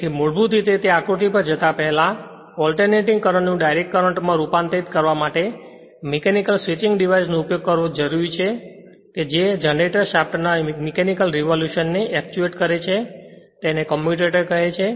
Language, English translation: Gujarati, So, basically in order to before going to that figure in order to convert the alternating current to DC current, it is necessary to employ mechanical switching device which is actuated by the mechanical rotation of the generator shaft, called a commutator